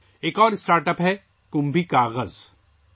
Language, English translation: Urdu, Another StartUp is 'KumbhiKagaz'